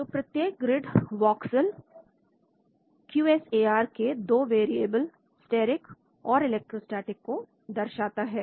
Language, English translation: Hindi, So each grid voxel corresponds to two variables in QSAR, steric and electrostatic